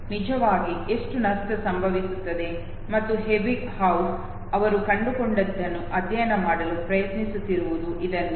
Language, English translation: Kannada, How much of loss takes place actually and this is what you Ebbinghaus was trying to study what he found was